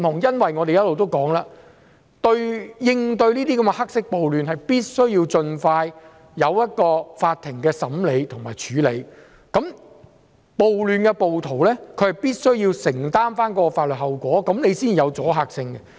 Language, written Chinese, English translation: Cantonese, 正如我們一直所說，為應對這些黑色暴亂，法庭必須盡快審理和處理，涉及暴亂的暴徒必須承擔法律後果，這樣才有阻嚇性。, As we have always said in order to create a deterrent effect against black riots the Court must try the cases as soon as possible and the rioters concerned must bear the legal consequences